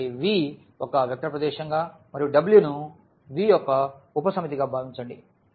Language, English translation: Telugu, So, let V be a vector space and let W be a subset of V